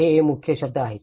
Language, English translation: Marathi, So these are the key words